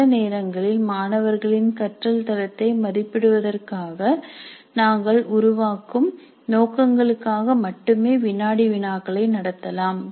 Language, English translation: Tamil, Sometimes we might conduct quizzes only for diagnostic purposes, formative purposes in order to assess the quality of learning by the students